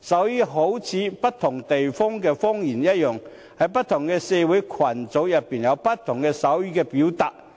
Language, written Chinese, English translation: Cantonese, 一如不同地方有不同的方言，不同的社會群組亦同樣有不同的手語表達方法。, Just as different places have different dialects different social groups also have different forms of sign language